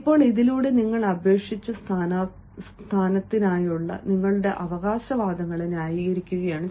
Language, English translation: Malayalam, now, through this, you are justifying your claims for the position you have applied